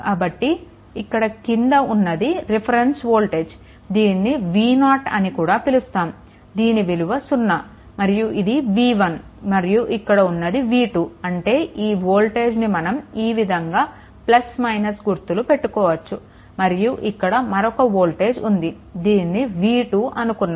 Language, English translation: Telugu, So, if you look into that this is reference voltage, this voltage any way is 0 v 0 0 and this this is your v 1 and this is your v 2; that means, this voltage these voltage actually v 1 right this will take plus this is minus and this voltage this is another voltage is there this is v 2 right